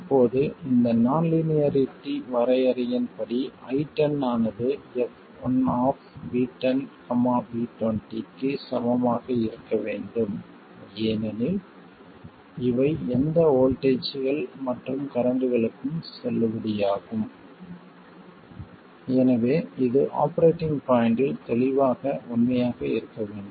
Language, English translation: Tamil, Now, by definition of this non linearity, I 10 has to be equal to F1 of V1 and V20 because these are valid for any voltages and currents, so it clearly has to be true at the operating point and I20 will be F2 of V10 and V2 0